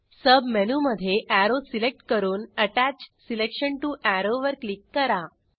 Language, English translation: Marathi, In the Submenu select Arrow and Click on Attach selection to arrow